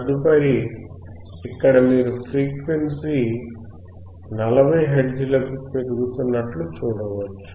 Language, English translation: Telugu, Here you can see the next one is increasing to 40 hertz